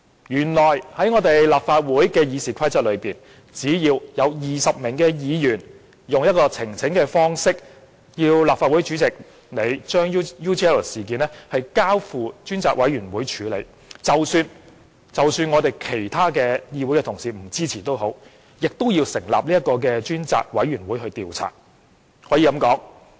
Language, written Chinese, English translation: Cantonese, 原來立法會《議事規則》容許只要有20名議員以呈請方式要求立法會主席將 UGL 事件交付專責委員會處理，即使其他議員不支持，仍要成立專責委員會調查。, They learnt that according to RoP if not less than 20 Members requested the President of the Legislative Council by way of petition to refer the UGL incident to a select committee then even if other Members do not support a select committee will still be formed